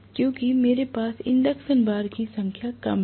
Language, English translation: Hindi, Because I have less number of induction bars